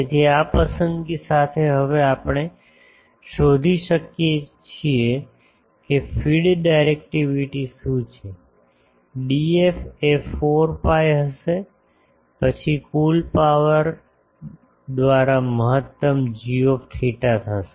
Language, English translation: Gujarati, So, with this choice we can now find out what is the feed directivity, D f will be 4 pi then maximum of g theta by total power radiated